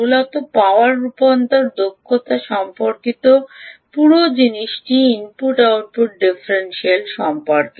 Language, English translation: Bengali, essentially, the whole thing discussion about power conversion efficiency is about the input output differential